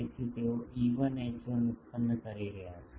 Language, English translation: Gujarati, So, they are producing E1 and H1